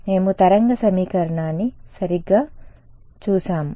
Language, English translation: Telugu, We had looked at the wave equation right